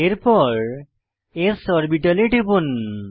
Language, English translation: Bengali, This is an s orbital